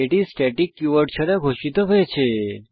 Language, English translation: Bengali, These fields are declared without the static keyword